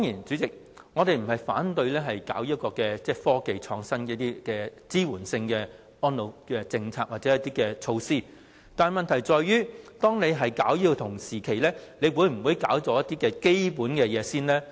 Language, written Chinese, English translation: Cantonese, 主席，我們當然不是反對推行科技創新以支援安老政策或措施，但問題在於推行此方面的同時，應否先推行一些基本工作呢？, Chairman of course we are not opposing to giving support to elderly initiatives or measures by means of innovative technology . But the question is should some fundamental work be implemented first prior to launching the initiatives in this area?